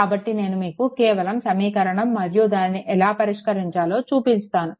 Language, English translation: Telugu, So, after that I just show you that step of equation and how to solve it, right